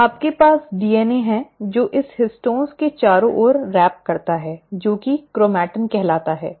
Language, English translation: Hindi, So you have the DNA which wraps around this histones to form what is called as chromatin